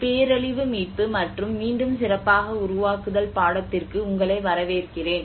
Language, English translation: Tamil, Welcome to the course \'ebdisaster recovery and build back better\'ed